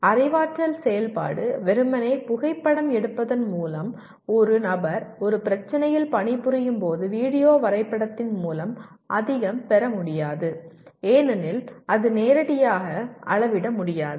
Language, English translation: Tamil, But where cognitive activity is involved by merely photographing, by video graphing when a person is working on a problem does not get you very much because it is not directly measurable